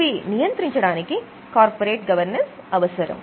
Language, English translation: Telugu, So, these are necessary principles of corporate governance